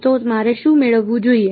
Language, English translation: Gujarati, So, what should I get